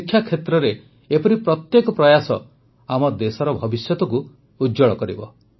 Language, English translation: Odia, Every such effort in the field of education is going to shape the future of our country